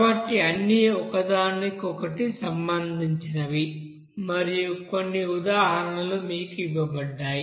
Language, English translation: Telugu, So all are related to each other and some examples are given to you